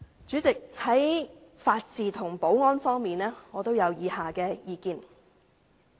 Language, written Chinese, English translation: Cantonese, 主席，在法治和保安方面，我有以下意見。, President on the rule of law and security I have the following views